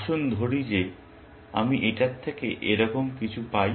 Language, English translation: Bengali, Let us say that I get something like this; out of this